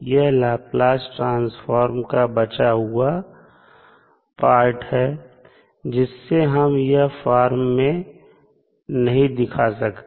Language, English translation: Hindi, So, this is the reminder of the, the Laplace Transform, which is not represented in this particular form